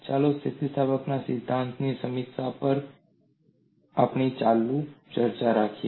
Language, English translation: Gujarati, Let us continue our discussion on review of theory of elasticity